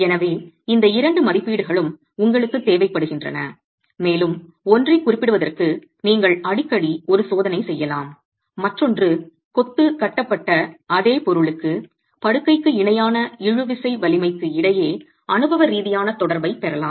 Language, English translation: Tamil, So you need both these estimates and often you may be able to do a test to characterize one and the other one is for the same material that the masonry is composed of, you can get an empirical correlation between the tensile strength parallel to the bed joint and tensile strength normal to the bed joint